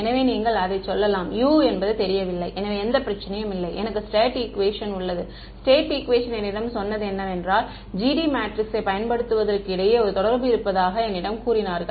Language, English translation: Tamil, So, you may say that U is not known no problem, I have a state equation that state equation told me that there is a relation between that use the matrix GD